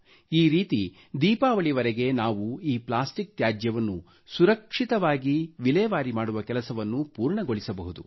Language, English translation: Kannada, This way we can accomplish our task of ensuring safe disposal of plastic waste before this Diwali